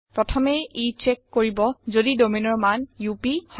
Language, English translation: Assamese, First it checks whether the value of domain is UP